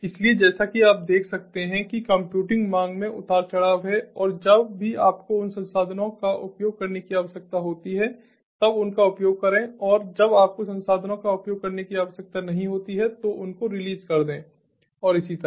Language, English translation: Hindi, so, as you can see that there is fluctuating computing demand and whenever required you use those resources, whenever not required you release the resources and so on